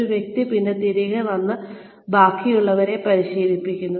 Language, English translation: Malayalam, Who goes out, and then comes back, and trains the rest of the organization